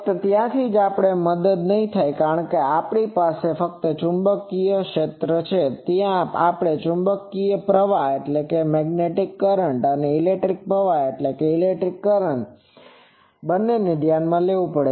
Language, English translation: Gujarati, Only there we would not have the help because here we are having only magnetic current, there we will have to consider both the magnetic current and the electric current